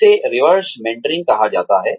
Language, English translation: Hindi, That is called reverse mentoring